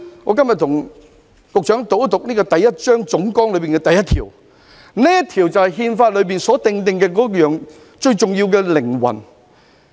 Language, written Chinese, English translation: Cantonese, 我今天向局長讀出《憲法》第一章總綱的第一條，因為這正是《憲法》最重要的靈魂。, It is being a master of none . Today I have read out Article 1 of Chapter 1 General Principles of the Constitution to the Secretary for it is the very soul of the Constitution